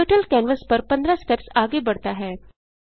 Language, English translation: Hindi, Turtle moves 15 steps forward on the canvas